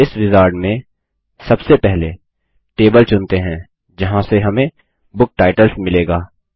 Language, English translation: Hindi, In this wizard, let us first, choose the table from where we can get the book titles